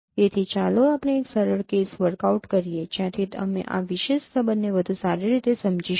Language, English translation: Gujarati, So let us work out a simple case from where we will be able to understand this particular relationship in a better way